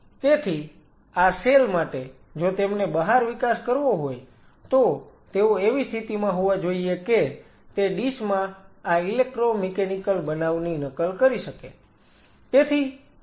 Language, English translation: Gujarati, So, for these cells if they have to grow outside, and they should be in a position which should be able to mimic these electromechanical events in a dish